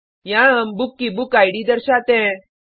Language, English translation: Hindi, Here we display the BookId of the book